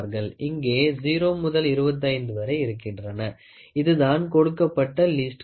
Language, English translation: Tamil, So, here it is 0 to 25, this is the least count they have given